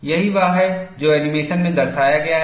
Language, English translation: Hindi, That is what is depicted in the animation